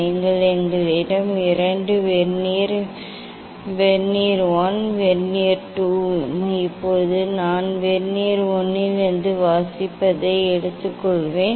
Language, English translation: Tamil, You have to so we have 2 Vernier: Vernier 1 and Vernier 2, now I will take reading from Vernier 1